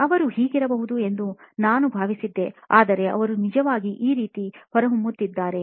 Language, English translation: Kannada, This is how I thought they should be but they are actually turning out to be this way